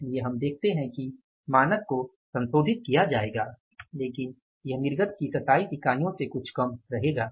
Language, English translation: Hindi, 5 units so we will see that the standard will be revised but it will remain little less as compared to the 27 units of the output